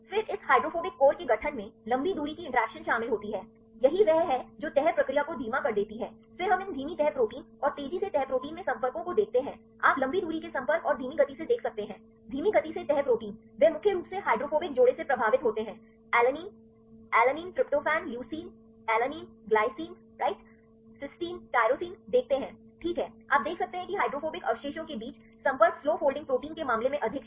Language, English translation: Hindi, Then the formation of this hydrophobic core involves long range interactions right this is how which slows down the folding process then we see the contacts in these slow folding proteins and fast folding proteins you can see the long range contacts and slow; slow folding proteins right, they are mainly influenced with the hydrophobic pairs see alanine, alanine, tryptophan, leucine, alanine, glycine, right, cysteine, tyrosine, right you can see the contacts between the hydrophobic residues are more in the case of the slow folding proteins compared with fast folding proteins